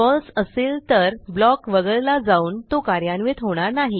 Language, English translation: Marathi, If the condition is false, the block is skipped and it is not executed